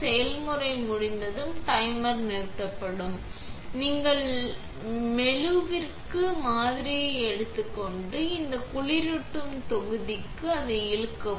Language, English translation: Tamil, When the process is done and the timer stops, you take the sample to the etch and pull it off onto this cooling block